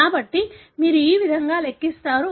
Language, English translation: Telugu, So, this is how you calculate